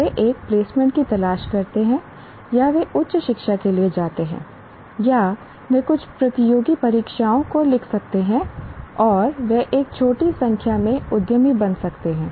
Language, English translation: Hindi, They seek a placement, or they go for higher education, or they can write some of the competitive exams, and they may become, a small number of them may become entrepreneurs